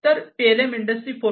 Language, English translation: Marathi, So, for Industry 4